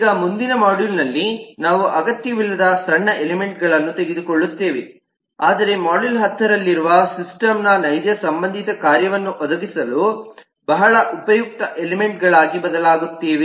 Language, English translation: Kannada, now in the next module we will take up the minor elements which are not essential but often turn out to be very useful elements to provide the actual related functionality of the system